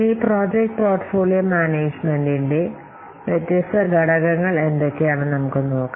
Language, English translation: Malayalam, Now let's see what are the different elements to project portfolio management